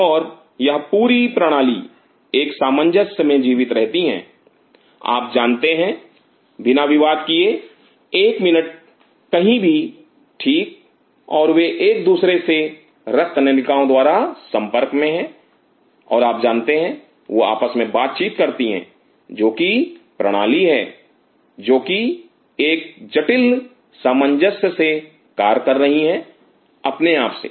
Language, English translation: Hindi, And this whole system lives in harmony without you know creating recues one minute, wherever right and they are connected with each other with blood vessels and you know them cross talk with each other which is system which is functioning in complete harmony with it with itself